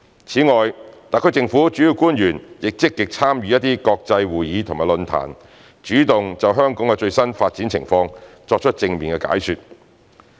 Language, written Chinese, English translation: Cantonese, 此外，特區政府主要官員亦積極參與一些國際會議及論壇，主動就香港最新的發展情況作出正面解說。, Actively taking part in international conferences and forums moreover our principal officials would explain optimistically on the latest developments in Hong Kong